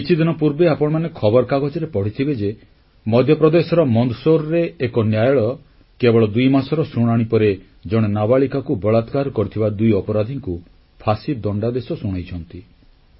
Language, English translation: Odia, Recently, you might have read in newspapers, that a court in Mandsaur in Madhya Pradesh, after a brief hearing of two months, pronounced the death sentence on two criminals found guilty of raping a minor girl